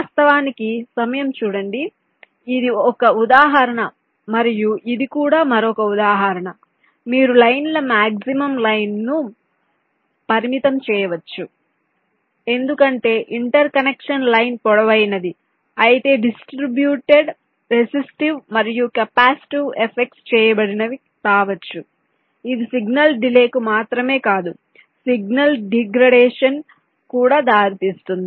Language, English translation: Telugu, this is just as an example, and also another example can be: you can also limit the maximum length of the lines because longer an interconnection line the distributed restive and capacitive effects can be coming which can lead to not only signal delays but also signal degradation